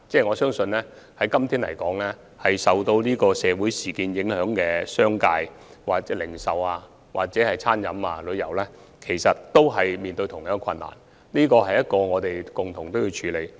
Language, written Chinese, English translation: Cantonese, 我相信任何營辦商也受到社會事件影響，不論商界或零售、餐飲和旅遊業界都面對同樣的困難，這是我們要共同處理的問題。, I believe that operators of all trades including the business sector retail sector catering sector and tourism industries are affected by the social incidents and they are facing the same difficulties . This is a problem we have to tackle together